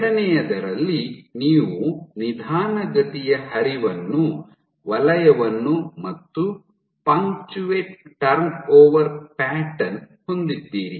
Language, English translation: Kannada, In the second ones you have zone of slower flow and punctate turn over pattern